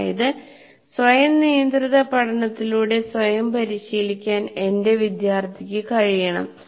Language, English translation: Malayalam, That means he should be able to take care of himself through self regulated learning